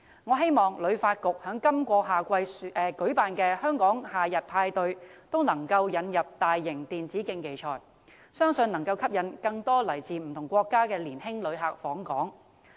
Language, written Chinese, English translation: Cantonese, 我希望香港旅遊發展局在今年夏季舉辦的"香港夏日派對"，能夠引入大型電子競技賽，相信能夠吸引更多來自不同國家的年輕旅客訪港。, I hope that the Hong Kong Summer Party to be held by the Hong Kong Tourism Board can include a mega e - sports tournament which I believe will attract more young visitors from different countries to Hong Kong